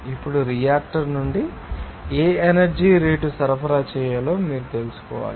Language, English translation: Telugu, Now, you have to know what rate of energy to be supplied from the reactor